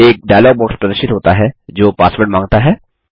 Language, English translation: Hindi, A dialog box, that requests for the password, appears